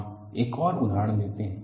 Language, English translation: Hindi, We take another example